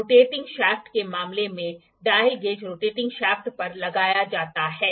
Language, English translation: Hindi, In case of rotating shafts, the dial gauge is put on the rotating shaft